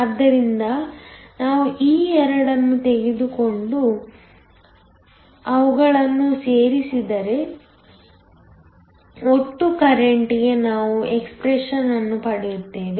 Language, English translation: Kannada, So, if we take these 2 and add them we get an expression for the total current